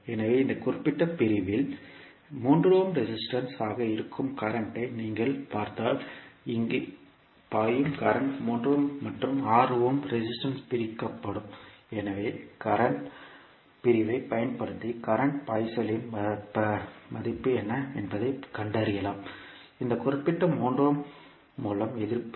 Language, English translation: Tamil, So, if you see the current flowing in this particular segment that is 3 ohm resistance will be the current which is flowing here will be divided in 3 ohm and 6 ohm resistance so using current division you can find out what is the value of current flowing in the through this particular 3 ohm the resistance